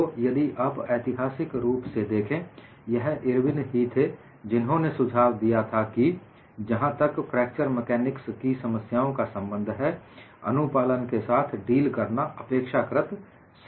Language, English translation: Hindi, So, if you look at historically, it was Irwin who suggested it is easier to deal with compliance, as for as fracture mechanics problems are concerned